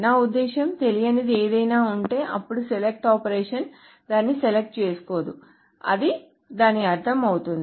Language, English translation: Telugu, So, I mean, if there is something unknown, then the select operation will not select it